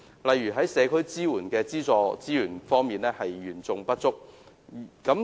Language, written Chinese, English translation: Cantonese, 例如，社區支援的資助資源嚴重不足。, One example is the serious shortage of subsidized resources for community support